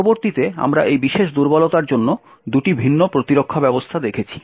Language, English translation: Bengali, Later on, we see two different mechanisms for this particular vulnerability